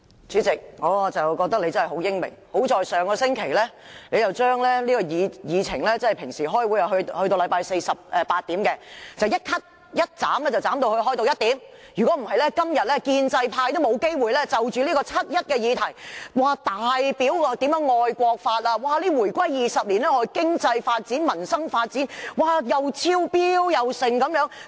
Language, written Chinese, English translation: Cantonese, 主席，我覺得你實在很英明，幸好你上星期改變了會議時間，果斷地把星期四會議的結束時間由慣常的晚上8時，縮短至下午1時，否則建制派議員今天便沒有機會就七一議題大表愛國之心，暢談回歸20年來經濟發展、民生發展如何超越預期云云。, President I think you are indeed a wise man . Had it not been your resolute decision last week to shorten the Council meeting on Thursday from the usual ending time of 8col00 pm to 1col00 pm pro - establishment Members would not have the chance to bare their hearts out today through this motion on the 1 July march to pledge their love for the country or talk excitedly about Hong Kongs economic development over the past 20 years since the reunification or how peoples livelihood has been improved beyond expectation and so on and so forth